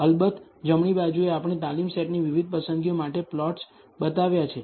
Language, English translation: Gujarati, Of course on the right hand side we have shown plots for different choices of the training set